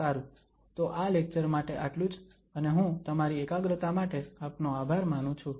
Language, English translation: Gujarati, Well so that is all for this lecture and I thank you for your attention